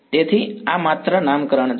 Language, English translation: Gujarati, So, this is just nomenclature